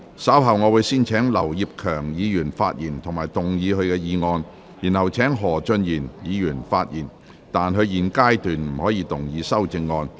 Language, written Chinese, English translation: Cantonese, 稍後我會先請劉業強議員發言及動議議案，然後請何俊賢議員發言，但他在現階段不可動議修正案。, Later I will first call upon Mr Kenneth LAU to speak and move the motion . Then I will call upon Mr Steven HO to speak but he may not move the amendment at this stage . The joint debate now begins